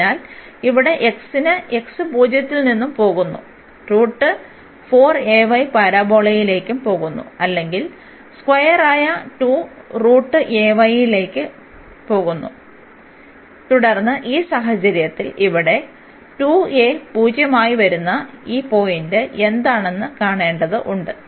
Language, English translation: Malayalam, So, for this x here x goes from 0 x goes from 0 and to this parabola which is a square root this 4 a y or square to square root a y and then in this case we have to also see what is this point here which will come as 2 a into 0